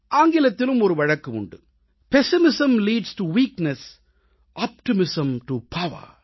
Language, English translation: Tamil, In English too, it is said, 'Pessimism leads to weakness, optimism to power'